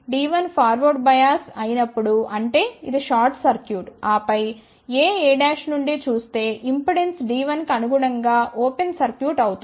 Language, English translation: Telugu, When D 1 is forward bias; that means, it is short circuited then impedance looking along AA dash will be open circuit corresponding to D 1